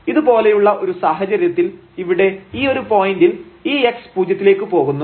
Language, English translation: Malayalam, At this point here anyway this x goes to 0